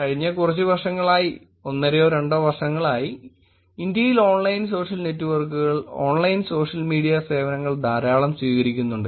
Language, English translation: Malayalam, In the last few years probably last one and half or 2 years there is a lot of adoption of Online Social Networks, Online Social Media services in India also